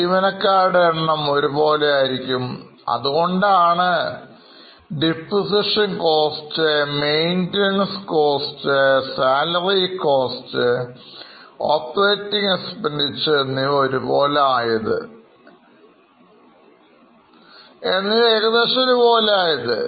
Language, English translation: Malayalam, So, depreciation cost is more or less same, maintenance cost is same, the salary cost is same, operating expenses are almost same